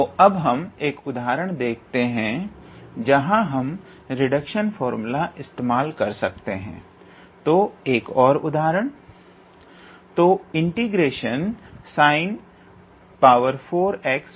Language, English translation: Hindi, So now, we will see an example where we can apply this reduction formula, so an another example